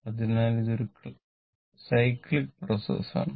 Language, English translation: Malayalam, So, it is a cyclic process, right